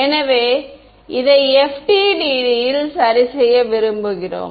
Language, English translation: Tamil, So, we want to impose this in FDTD ok